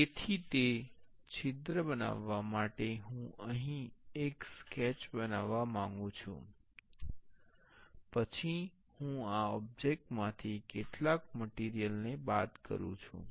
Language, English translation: Gujarati, So, for making that hole, I want to make a sketch here, then I want to subtract some material from this object